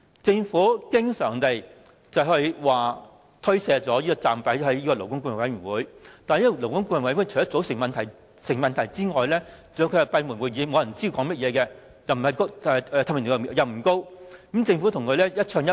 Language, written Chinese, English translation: Cantonese, 政府經常把責任推卸給勞顧會，但勞顧會除了組成上有問題外，還要是閉門舉行會議的，沒有人知道討論內容，透明度並不高，而政府則跟勞顧會一唱一和。, The Government always shift the responsibility onto LAB . Yet the composition of LAB is problematic . Worse still its meetings are convened behind closed doors with low transparency and no one knows what have been discussed with the Government and LAB often echoing each other